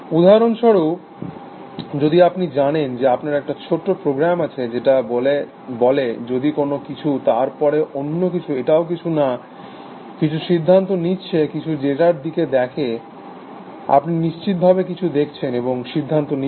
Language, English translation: Bengali, Example is you know you have a small program, which says if something, then something else, it is also doing taking some decision, by looking at some data; obviously, you are looking at something and taking a decision